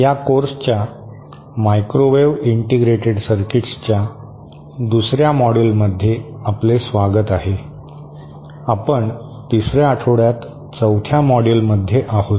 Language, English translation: Marathi, Welcome to another module of this course microwave integrated circuits, we are in week 3, module 4